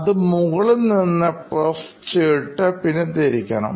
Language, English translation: Malayalam, You have to press on it from the top and then rotate it